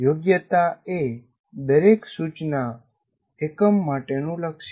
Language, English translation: Gujarati, A competency is a goal for each instruction unit